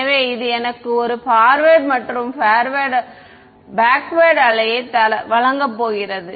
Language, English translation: Tamil, So, this is going to be give me a forward and a backward wave right